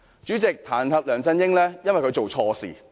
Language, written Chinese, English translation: Cantonese, 主席，彈劾梁振英，是因為他做錯事。, President we have decided to impeach LEUNG Chun - ying for he has erred